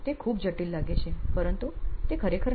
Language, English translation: Gujarati, It may look very complicated but it is actually not